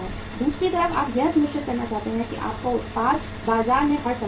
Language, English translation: Hindi, On the other side you want to make sure that your market your product is all the times available in the market